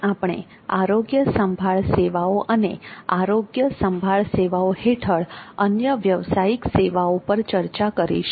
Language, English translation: Gujarati, So today we will look at healthcare services and other professional services